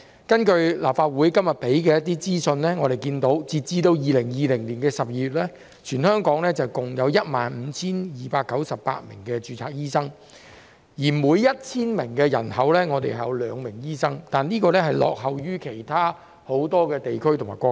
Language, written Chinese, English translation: Cantonese, 根據立法會今日提供的資訊，截至2020年12月，全港共有 15,298 名註冊醫生，每 1,000 名人口有兩名醫生，這比例落後於很多其他地區及國家。, According to information provided by the Legislative Council today as at December 2020 there were 15 298 registered doctors in Hong Kong amounting to a ratio of 2 doctors per 1 000 population which lags behind that in many other regions and countries